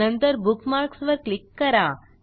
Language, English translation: Marathi, Now click on the Bookmark menu